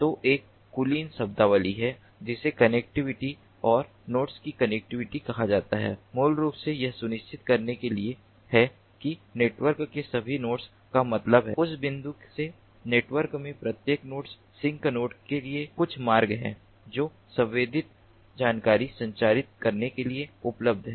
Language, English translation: Hindi, so there is an alight terminology which is called the connectivity, and connectivity of the nodes is basically to ensure that all nodes, that means each and every node in the network from that point to the sink node, there is some path that is available to transmit the sensed information